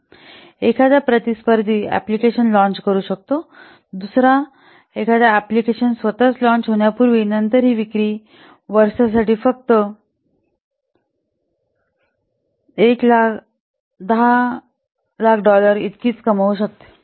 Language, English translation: Marathi, However, a competitor might launch another competing application like this before its own launching date and then the sales might generate a very less amount, only one lakh dollar for year